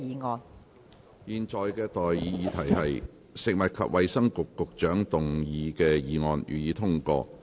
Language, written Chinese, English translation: Cantonese, 我現在向各位提出的待議議題是：食物及衞生局局長動議的議案，予以通過。, I now propose the question to you and that is That the motion moved by the Secretary for Food and Health be passed